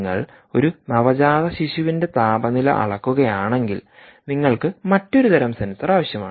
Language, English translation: Malayalam, if you are measuring core body temperature of a neonate, you need another type of sensor